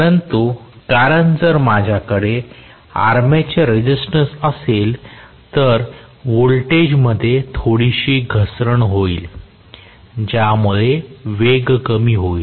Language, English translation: Marathi, But because if I have an armature resistance there is going to be some drop in the voltage which will also cause a drop in the speed